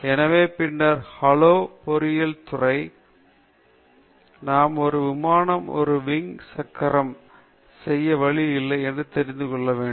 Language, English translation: Tamil, So, then, hello engineering department, we should know that this is not the way to make a wing okay for an airplane